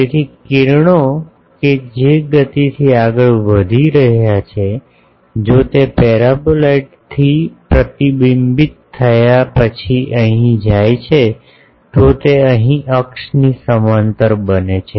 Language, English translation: Gujarati, So, rays that are going from the speed if they go here after getting reflected from the paraboloid, that becomes parallel to the axis similarly here